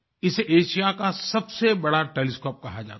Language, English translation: Hindi, This is known as Asia's largest telescope